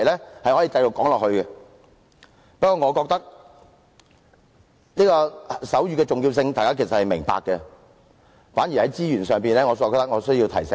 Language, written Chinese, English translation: Cantonese, 不過，我認為大家其實都明白手語的重要性，反而在資源方面，我覺得有需要提醒一下。, However I think Members can all see the importance of sign language so I should instead draw their attention to the issue of resources